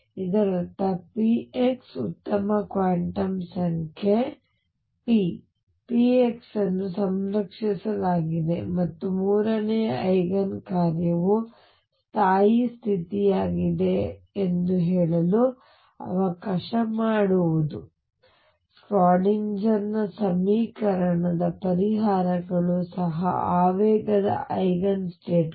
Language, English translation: Kannada, This means p x is a good quantum number p x is conserved and third Eigen function let me say Eigen function is the stationary state Schrödinger equation solutions are also momentum Eigen states